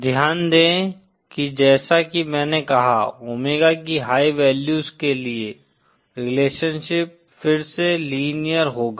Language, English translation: Hindi, Note that as I said, for high values of omega, the relationship will again be linear